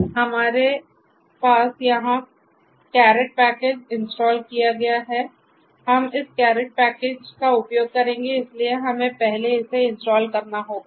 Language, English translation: Hindi, So, here we have you know this installation of the caret package we will be using this caret package so we are we have to install it first